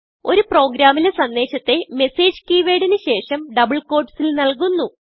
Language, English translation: Malayalam, Message in a program is given within double quotes after the keyword message